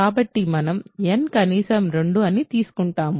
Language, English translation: Telugu, So, we assume n is at least 2